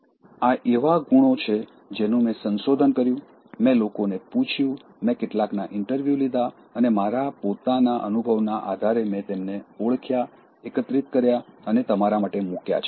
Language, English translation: Gujarati, These are qualities that I researched, I asked people, I interviewed some and based on my own experience, I identified and gathered them and put for you